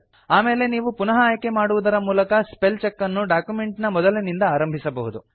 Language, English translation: Kannada, You can then choose to continue the spellcheck from the beginning of the document